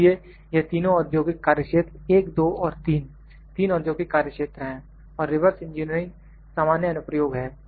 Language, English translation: Hindi, So, these 3 are the industrial domains 1, 2 and 3; 3 are the industrial domains so, reverse engineering is the general application